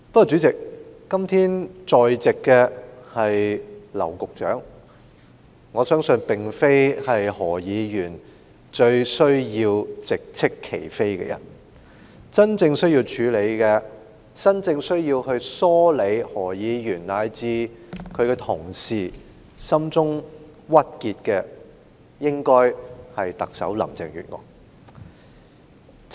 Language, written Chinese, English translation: Cantonese, 主席，但今天在席的是劉局長，相信不是何議員亟欲直斥其非的人；而真正須要處理及梳理何議員和其同事心中鬱結的人，應該是特首林鄭月娥。, But President it is Secretary LAU who is present today and he probably is not among those whom Mr HO is in dire urge to reproach . The one who actually should tackle and relieve the distress felt by Mr HO and his colleagues is the Chief Executive Carrie LAM